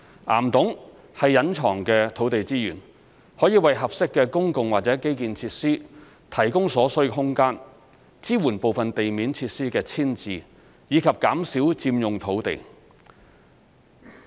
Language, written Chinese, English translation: Cantonese, 岩洞是隱藏的土地資源，可為合適的公共或基建設施提供所需空間，支援部分地面設施的遷置，以及減少佔用土地。, Rock caverns are hidden land resources that can offer room to accommodate suitable public or infrastructural facilities and to support the relocation of some above - ground facilities and reduce the amount of land occupied by them